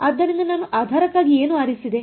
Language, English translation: Kannada, So, what did I choose for the basis